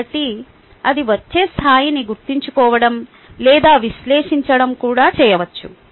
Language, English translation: Telugu, so the level it may come can be remembering or even analyzing